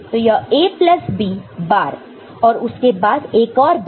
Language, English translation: Hindi, So, this is A plus B bar and again another bar